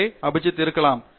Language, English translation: Tamil, So, may be Abhijith can